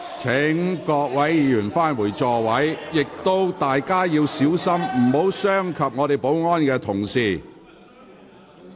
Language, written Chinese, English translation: Cantonese, 請各位議員返回座位，亦請大家小心，不要傷及保安人員。, Will Members please return to their seats and please be careful so as not to harm the security staff